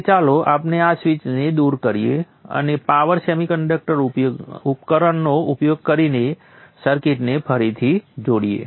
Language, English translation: Gujarati, Now let us remove the switch and reconnect the circuit using these power semiconductor devices